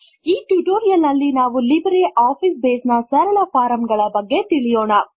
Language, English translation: Kannada, In this tutorial, we will cover Simple Forms in LibreOffice Base